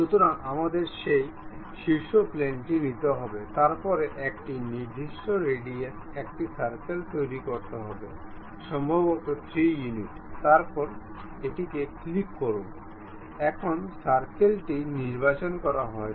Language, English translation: Bengali, So, we have to take that top plane; then make a circle of certain radius, maybe 3 units, then click ok, now circle has been selected